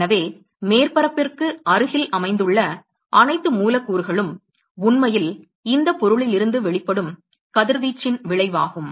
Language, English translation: Tamil, So, all the molecules which are located close to the surface are the ones which are actually resulting in the radiation which is emitted out of this object